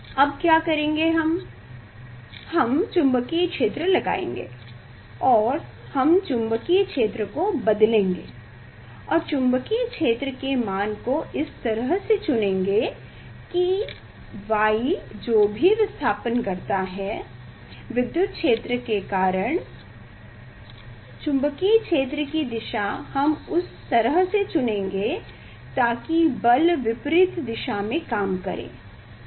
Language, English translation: Hindi, what we will do, we will apply magnetic field and we will change the magnetic field and choose the magnitude of the magnetic field in such a way that, the y displacement whatever y displacement